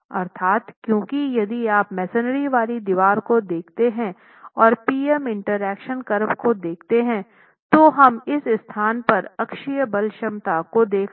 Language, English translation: Hindi, That is because if you look at a masonry wall, if you look at a masonry wall and if you look at the PM interaction curve, we were looking at the axial force capacity at this location, looking at the axial force capacity at that location